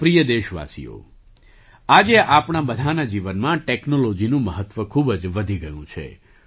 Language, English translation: Gujarati, My dear countrymen, today the importance of technology has increased manifold in the lives of all of us